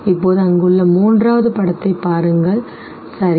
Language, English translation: Tamil, Now look at the third image there